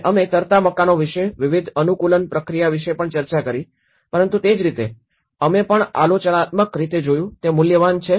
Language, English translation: Gujarati, And we also discussed about various adaptation process about floating houses but similarly, we also looked in a critical way of, is it worth